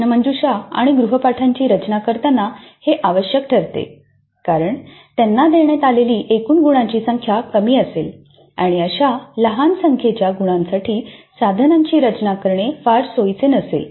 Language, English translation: Marathi, This becomes necessary when designing quizzes and assignments because the total marks allocated to them would be small and designing an instrument for such a small number of marks may not be very convenient